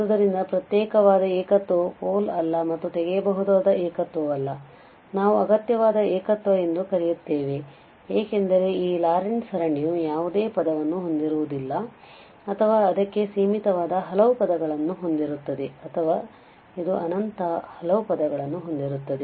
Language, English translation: Kannada, So, isolated singularity which is not a pole and not a removable singularity we will call as essential singularity, because either this Laurent series will have no term or it will have finitely many terms or it will have infinitely many terms